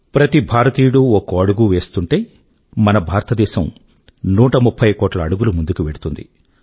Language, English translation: Telugu, When every Indian takes a step forward, it results in India going ahead by a 130 crore steps